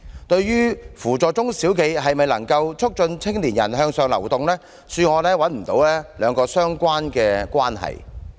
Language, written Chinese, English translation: Cantonese, 對於扶助中小企是否就能促進青年人向上流動，恕我找不到兩者相關的關係。, Can upward mobility of young people be promoted by assisting SMEs? . With due respect I cannot see the relation between the two